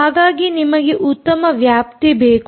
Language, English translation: Kannada, you want a good range